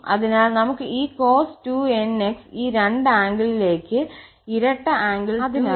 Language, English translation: Malayalam, So, this cos square nx we can convert into this two angle double angle 2 nx